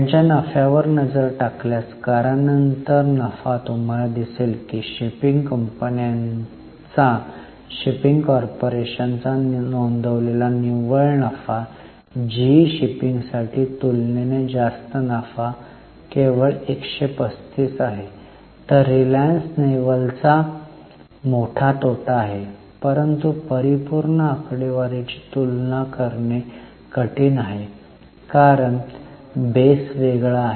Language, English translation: Marathi, If you look at their profits, profit after tax, you will see that the reported net profit of shipping companies or shipping corporation is only 135 versus relatively much higher profits for G shipping whereas Reliance Naval has a huge loss but absolute figures are difficult to compare because the base is different